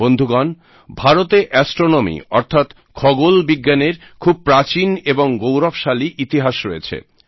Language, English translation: Bengali, Friends, India has an ancient and glorious history of astronomy